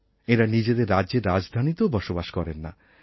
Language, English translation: Bengali, They do not even come from the capital cities of their respective states